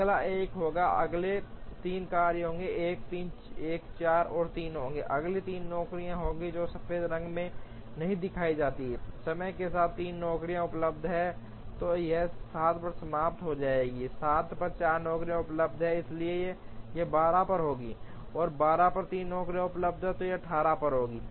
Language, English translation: Hindi, The next one will be 1, the next 3 jobs will be 1 3, 1 4 and 3 will be the next 3 jobs, which are not shown in white, at time equal to 3 jobs is available, so this will be finished at 7, at 7 job 4 is available, so this will be at 12, and at 12 job 3 is available this will be at 18